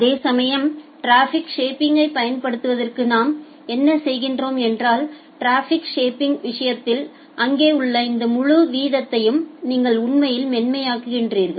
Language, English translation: Tamil, Whereas, in case of traffic shaping what we are doing that to apply traffic shaping, you actually smooth out this entire this entire rate which is there